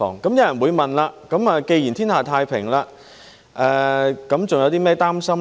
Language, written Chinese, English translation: Cantonese, 有人會問，既然天下太平，還有甚麼擔心呢？, Some people might ask Now that the world is at peace what else is there to worry about?